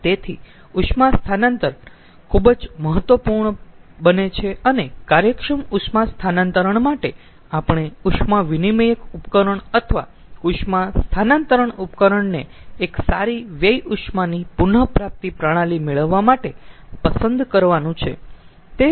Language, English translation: Gujarati, efficient and heat transfer, efficient heat exchange devices, heat transfer devices that we have to select to get a best a good waste heat recovery system